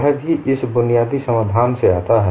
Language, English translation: Hindi, That also comes from this basic solution